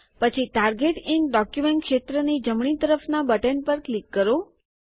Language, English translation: Gujarati, Then click on the button to the right of the field Target in document